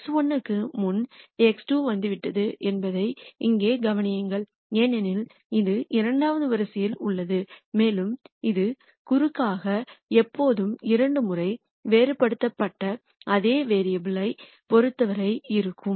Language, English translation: Tamil, Notice here that x 2 has come before x 1 because it is in the second row and this diagonally is always with respect to the same variable differentiated twice